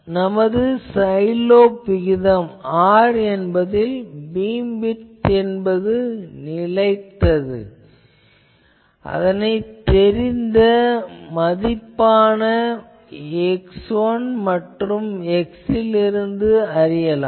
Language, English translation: Tamil, So, we can also specify the side lobe ratio parameter R in which case the beam width is fixed and can be found from the known value of x 1 and the value of x